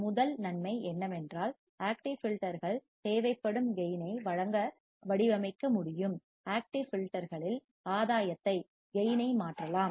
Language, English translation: Tamil, The first advantage is that active filters can be designed to provide require gain, we can change the gain in active filters